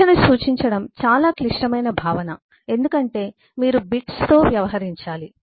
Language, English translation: Telugu, that representing a number itself is a very complex concept because you need to deal with bits